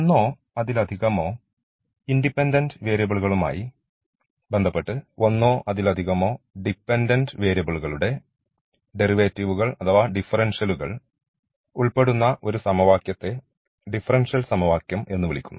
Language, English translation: Malayalam, So an question which involves the derivates or the differentials of one or more independent variables with respect to one or more independent variables is called differential equation